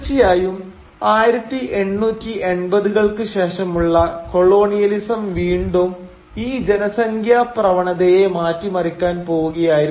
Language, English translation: Malayalam, And of course colonialism post 1880’s was again going to reverse this population trend